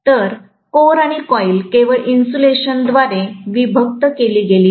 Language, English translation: Marathi, So the core and the coil are separated only by the insulation